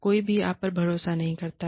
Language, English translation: Hindi, Nobody, trusts you